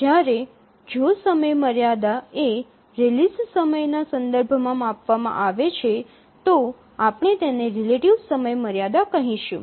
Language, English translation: Gujarati, Whereas if the deadline is computed or is reported with respect to the release time, then we call it as the relative deadline